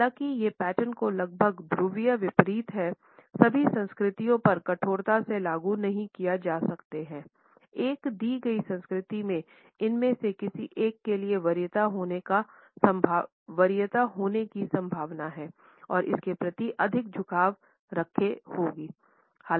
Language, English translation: Hindi, Although these patterns which are almost polar opposites cannot be applied rigidly to all the cultures; a given culture is likely to have a preference for either one of these and would be more inclined towards it